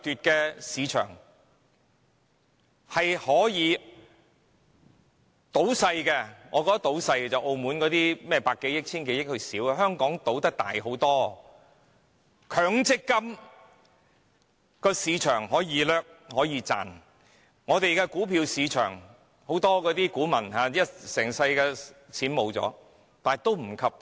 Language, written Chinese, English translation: Cantonese, 強制性公積金計劃市場可以掠奪、可以賺錢。股票市場可以令股民損失一生所賺到的金錢。, One can loot and make money from the Mandatory Provident Fund scheme market while the stock market can cost punters their lifelong savings